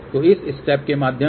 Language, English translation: Hindi, So, let just go through the step